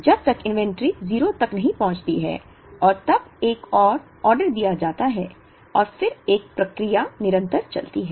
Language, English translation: Hindi, Till the inventory reach a 0 and then another order is placed and then this process continuous